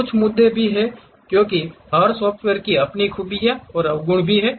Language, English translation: Hindi, There are some issues also because every software has its own merits and also demerits